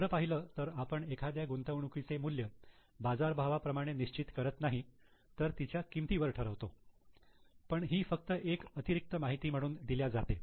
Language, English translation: Marathi, Actually, we do not value the investment at market value, we value it at cost, but it is just given as an extra information